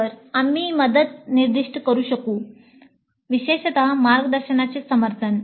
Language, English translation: Marathi, So, we could specify the help support from the guide specifically